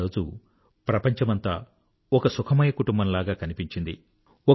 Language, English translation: Telugu, On that day, the world appeared to be like one big happy family